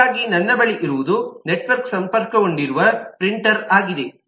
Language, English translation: Kannada, so i have what i have is a printer which is connected to the network